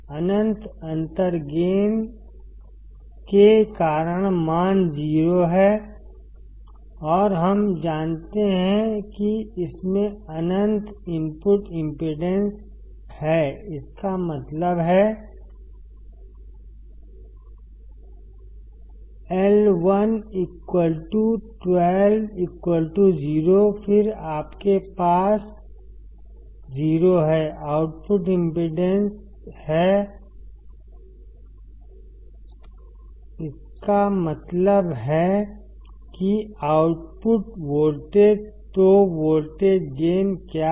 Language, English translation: Hindi, Because of the infinite differential gain, the value is 0 and we know that it has infinite input impedance; that means, I1 equals to I2 equals to 0, then you have 0 output impedance; that means, the output voltage will be nothing but Vo equal to V1 minus I1 into R 2 which is correct